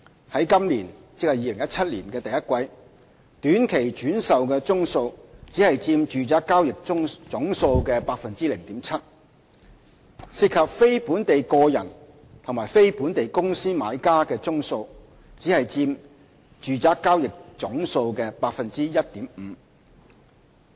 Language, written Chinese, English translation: Cantonese, 在今年的第一季，短期轉售宗數只佔住宅交易總數的 0.7%； 涉及非本地個人和非本地公司買家的宗數則只佔住宅交易總數的 1.5%。, In the first quarter of this year ie . 2017 the number of short - term resale transactions only accounts for 0.7 % of the total number of residential property transactions; and the purchases of residential properties by non - local individuals and non - local companies only account for 1.5 % of the total transactions